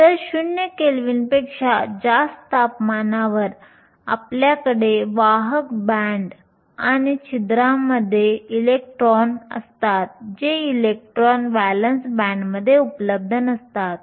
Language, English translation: Marathi, So, at any temperature greater than 0 kelvin, you have electrons in the conduction band and holes, which is the absence of electrons in the valence band